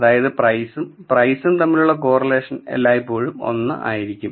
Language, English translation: Malayalam, So, the correlation for price versus price will always be 1